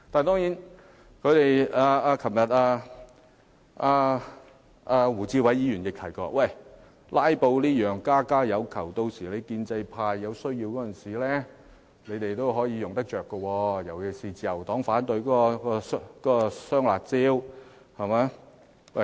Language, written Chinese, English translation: Cantonese, 當然，胡志偉議員昨天亦提到"拉布"是家家有求的，建制派有需要時也可以運用，尤其自由黨反對"雙辣招"時可運用。, Mr WU Chi - wai also mentioned yesterday that everyone had his own reason for filibustering and pro - establishment Members could also resort to this means when necessary . In particular the Liberal Party could filibuster if it opposed the double curbs measures